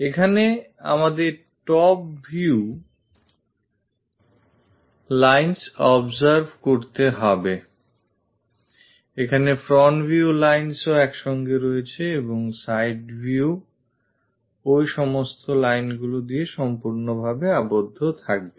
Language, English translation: Bengali, Here we have to observe the top view lines, the front view lines coincides here and the side view will be completely bounded throughout that lines